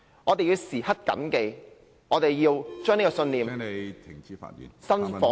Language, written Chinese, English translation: Cantonese, 我們要時刻緊記，要把這個信念......, We have to bear in mind at all times that this belief should be